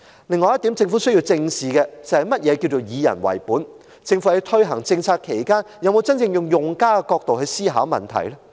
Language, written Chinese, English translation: Cantonese, 另外，政府也需要正視何謂"以人為本"，政府在推行政策時，有否真正以用家的角度思考問題？, Furthermore the Government should also look squarely at the meaning of people - oriented . Has the Government really considered from the perspective of the users when implementing its policies?